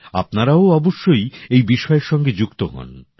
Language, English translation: Bengali, You too should connect yourselves with this subject